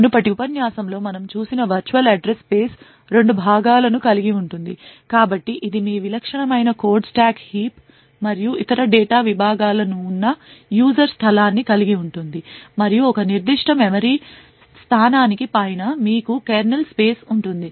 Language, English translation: Telugu, So the virtual address space as we have seen in the previous lectures comprises of two components, so it comprises of a user space where your typical code stack heap and other data segments are present and above a particular memory location you have the kernel space